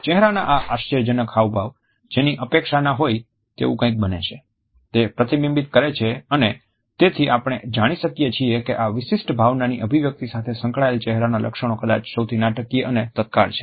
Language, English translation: Gujarati, The facial expressions which are associated with this emotion reflect the unexpectedness of this emotion and therefore, we find that the facial features associated with the expression of this particular emotion are perhaps the most dramatic and instantaneous